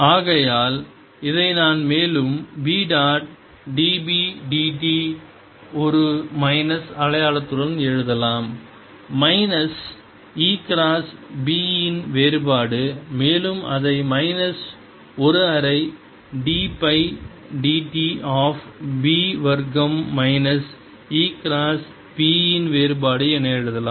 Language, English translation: Tamil, and therefore i can further write this as b dotted with d b d t with a minus sign minus divergence of e cross b, which can be further written as minus one half d by d t of b square, minus divergence of e cross b